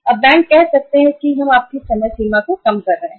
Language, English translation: Hindi, Now the banks can say that we are reducing your limit for the time being